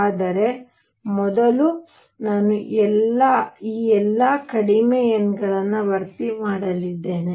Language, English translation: Kannada, But first I am going to fill for all these lowest n